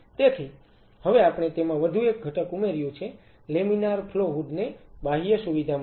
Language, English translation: Gujarati, So, now, we added one more component into it the laminar flow hood in outer facility ok